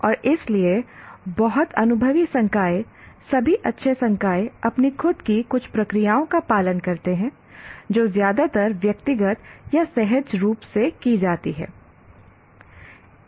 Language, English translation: Hindi, And that is why even very experienced faculty, all good faculty, though they are following certain processes of their own, which are mostly individualized or intuitively done